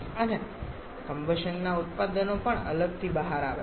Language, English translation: Gujarati, And the products of combustion that also comes out separately